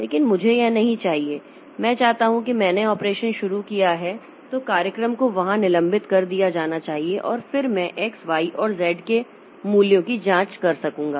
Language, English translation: Hindi, I want that the after I have initiated the operation so the program should should get suspended here and then I will be able to check the values of x, y and z